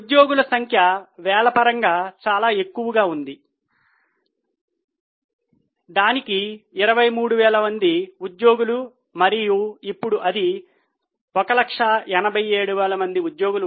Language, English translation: Telugu, The number of employees are pretty high in terms of thousands, so it is 23,000 employees and now it is 187,000 employees